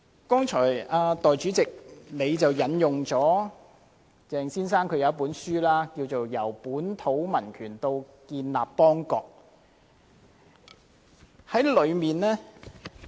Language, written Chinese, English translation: Cantonese, 代理主席，你剛才引述了鄭先生一本書，名為《由本土民權到建邦立國》。, Deputy President just now you have quoted a book by Dr CHENG entitled Civic Nationalism and State Formation